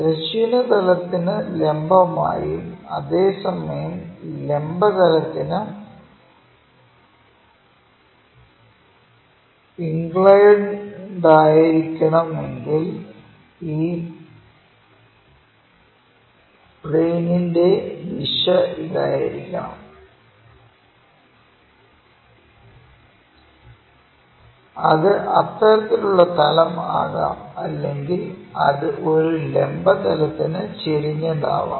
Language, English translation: Malayalam, It is supposed to be perpendicular to horizontal plane, but inclined to vertical plane that means, perpendicular, it can be a plane in that direction